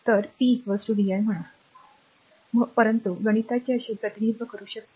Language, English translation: Marathi, So, p is equal to vi say t, but mathematically you can represent like this